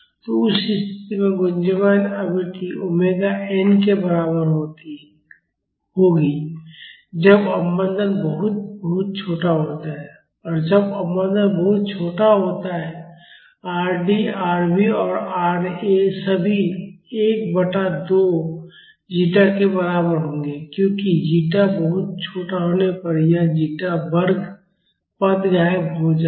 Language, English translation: Hindi, So, in that case the resonant frequency would be equal to omega n that is when the damping is very very small and when the damping is very small, Rd, Rv and Ra all of them will be equal to 1 by 2 zeta because this zeta squared term will vanish when zeta is very very small